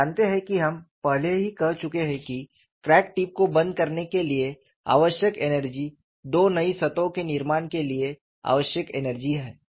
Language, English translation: Hindi, You know we have already said, whatever the energy required to close the crack tip is energy required for formation of two new surfaces